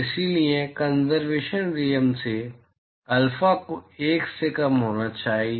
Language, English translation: Hindi, So, from the conservation rule, alpha has to be less than 1